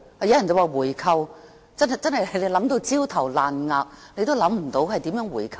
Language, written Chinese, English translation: Cantonese, 有人建議回購，但真是想到焦頭爛額也想不到可以如何回購。, Some people propose buying it back but after racking my brain I really cannot think of how we can do so